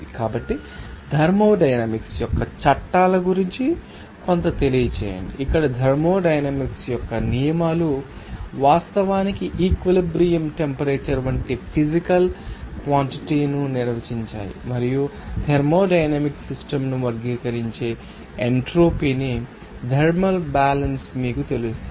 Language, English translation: Telugu, So, let us know something about that laws of thermodynamics, here the laws of thermodynamics define actually which physical quantities like equilibrium temperature and achieve and entropy that characterize thermodynamics system set you know thermal equilibrium